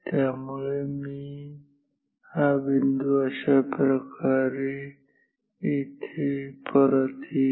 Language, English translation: Marathi, So, the dot will come back like this again here